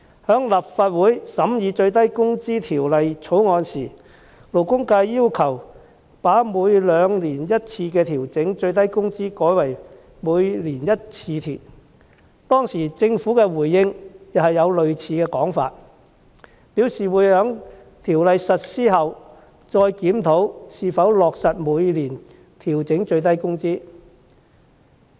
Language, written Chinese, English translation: Cantonese, 在立法會審議《最低工資條例草案》時，勞工界要求把每兩年一次調整最低工資改為每年一次，當時政府的回應便載有類似說法，表示會在該條例草案實施後再檢討是否落實每年調整最低工資。, During the scrutiny of the Minimum Wage Bill in the Legislative Council the labour sector requested to change the frequency of adjusting the minimum wage from once every two years to once a year . At the time the Government gave a similar assertion in its reply saying that it would conduct a further review after the implementation of the Minimum Wage Bill to review whether an annual adjustment of the minimum wage would be conducted